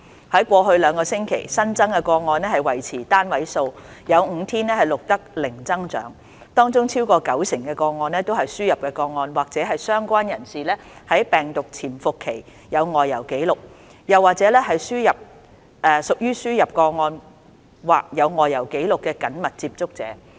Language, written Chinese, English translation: Cantonese, 在過去兩個星期，新增個案維持單位數，有5天更錄得零增長，而新增個案當中，超過九成都是輸入個案或是相關人士在病毒潛伏期有外遊紀錄，又或者是屬於輸入個案或有外遊紀錄人士的緊密接觸者。, Over the last two weeks the number of new cases remained in single digits and there was zero increase in new cases for five days . Amongst the new cases over 90 % are imported cases or the relevant person has travel history during the virus incubation period or is a close contact of an imported case or case with travel history